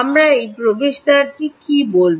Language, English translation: Bengali, ok, what we will call this gateway